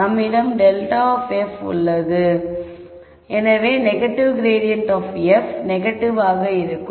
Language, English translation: Tamil, So, we have grad of f so negative grad of f would be negative